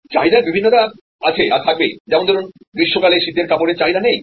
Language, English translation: Bengali, Demand variation is there, winter clothes are not demanded during summer